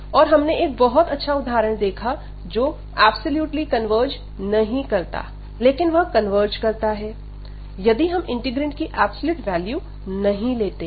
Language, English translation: Hindi, And we have seen this nice example which does not converge absolutely, but it converges, if we do not take this absolute value for the integrant